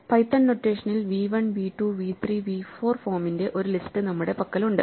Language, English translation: Malayalam, We have a list of the form v1, v2, v3, v4 in python notation